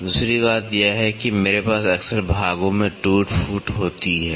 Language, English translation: Hindi, Second thing is I frequently have a wear and tear of parts